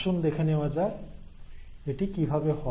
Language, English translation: Bengali, So let us see how it happens